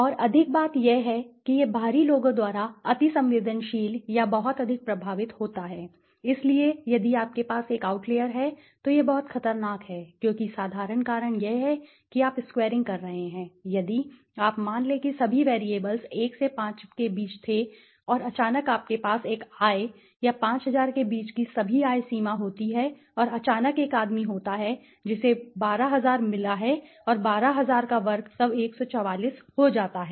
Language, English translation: Hindi, And more thing is this is susceptible or very highly you know influenced by outliers so if you have a outliers it is very dangerous because why the simple reason is you are squaring it so if you have the suppose all the variables were between 1 to 5 and suddenly you have a let say income or let say all the income range between to 5000 and suddenly there is one guy who has got 12000 and the square of 12000 then becomes 144 right